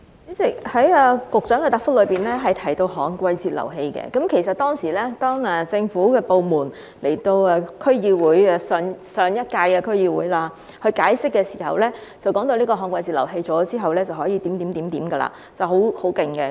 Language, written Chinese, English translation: Cantonese, 主席，局長的答覆提到旱季截流器，其實當時政府部門代表在上屆區議會解釋時，提到旱季截流器在設置後便能夠這樣、那樣，是很厲害的。, President the Secretarys reply mentioned DWFIs . Actually during their elaboration in the District Council of the last term the representatives of government departments said that after installation DWFIs could do this and that . They were very powerful